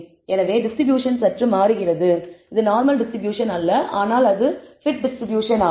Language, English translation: Tamil, So, the distribution slightly changes it is not the normal distribution, but the t distribution and that is what we are pointed out here